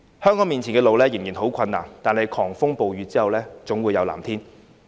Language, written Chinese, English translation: Cantonese, 香港面前的路仍然十分困難，但狂風暴雨過後，總會有藍天。, The road ahead of Hong Kong is still full of obstacles but there is always a clear sky after the storm